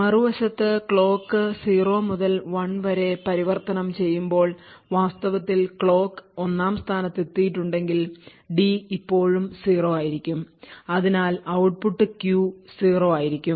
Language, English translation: Malayalam, On the other hand, if the clock in fact has arrived 1st when the clock transitions from 0 to 1, it would see that the D is still at the value of 0 and therefore the output Q would obtain a value of 0